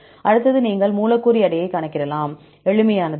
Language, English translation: Tamil, Then the next one you can calculate the molecular weight, the simplest one